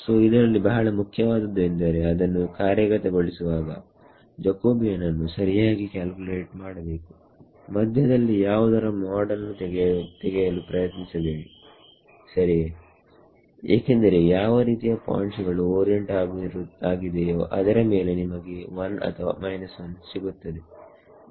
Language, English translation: Kannada, So, this is very very important when you get down to implementation you calculate the Jacobian exactly do not do not try to take mod of something in between ok, because the way the points are oriented you may get a plus 1 or a minus 1